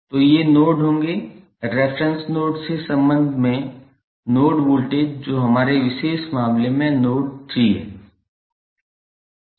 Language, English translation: Hindi, So, these would be the nodes, node voltages with respect to the reference node that is node 3 in our particular case